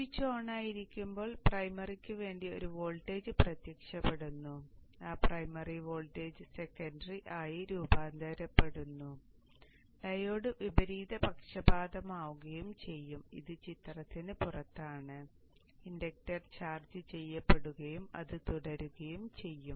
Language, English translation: Malayalam, When the switch is on, there is a voltage appearing across the primary, that primary voltage gets transferred to the secondary and the diode is reversed by this diode is out of the picture, the inductor gets charged and so on